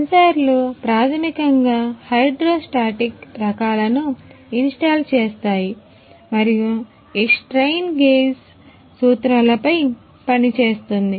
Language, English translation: Telugu, Sensors are installs a basically hydro hydrostatic types and working on this strain gauge principles